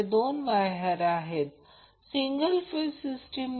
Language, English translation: Marathi, So, this is two wire single phase system